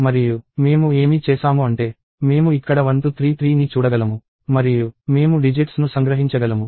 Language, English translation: Telugu, And what I have done is it looks like I can see 1233 here and I can extract the digits